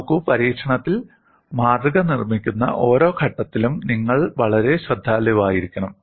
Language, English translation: Malayalam, See, in experiment, you have to be very careful at every stage of making the specimen